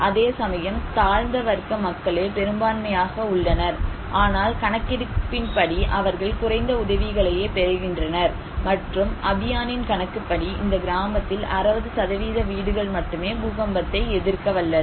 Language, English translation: Tamil, Whereas, lower caste people they are the majority in numerically but they receive low assistance according to some survey, and according to Abhiyan, only 60% of houses are earthquake resistance in this village